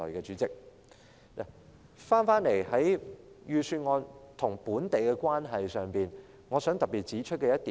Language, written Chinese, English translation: Cantonese, 說回預算案與本地的關係，我想特別指出一點。, Picking up on the local relevance of the Budget I would like to highlight one point